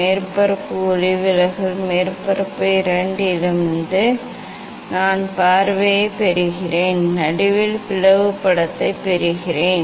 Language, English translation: Tamil, I am getting the view for both from both surface refracting surface, I am getting the slit image at the middle